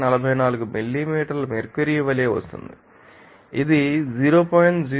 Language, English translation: Telugu, 44 millimeter mercury it is around 0